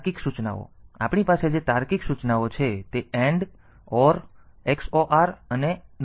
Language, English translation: Gujarati, Then we have got logic instructions AND, OR, XOR and NOT